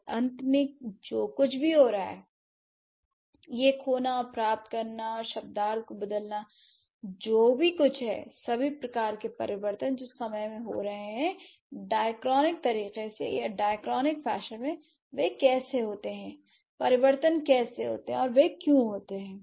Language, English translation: Hindi, And whatever changes happening this losing and gaining and changing of the semantics whatever all kinds of changes which are happening in the due course of time in the diacronic manner or in a dichronic fashion how do they happen how do the changes happen and why do they happen